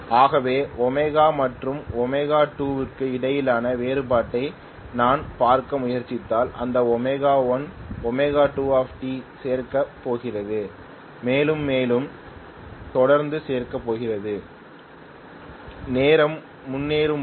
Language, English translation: Tamil, So if I try to look at what is the difference between omega and omega 2, that omega 1 minus omega 2 times T is going to keep on adding further and further as the time progresses